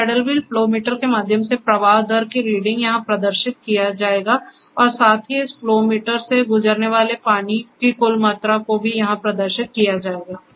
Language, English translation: Hindi, The reading for the reading for the flow rate of the through this paddle wheel flow meter will be displayed here and also the total amount of water passing through this flow meter over a period of time will also be displayed here